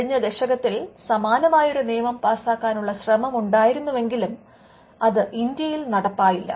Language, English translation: Malayalam, There was an attempt to pass a similar Act in the last decade, but that did not materialize in India